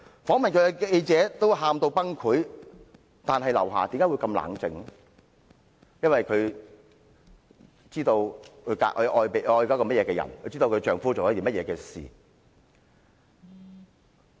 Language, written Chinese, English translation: Cantonese, 訪問她的記者都哭得崩潰，但劉霞卻很冷靜，因為她知道她所愛的是甚麼人，她知道她的丈夫在做甚麼事。, While the journalist who interviewed her was in tears LIU Xia remained very calm for she knew what kind of person her lover was and she knew what her husband was doing